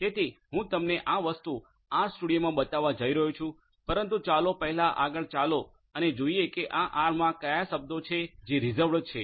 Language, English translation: Gujarati, So, I am going to show you this thing in the R studio, but let us first proceed further and see that what are these reserved the words in R